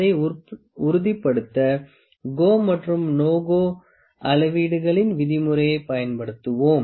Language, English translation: Tamil, To confirm it we will use the rule of GO and NO GO gauges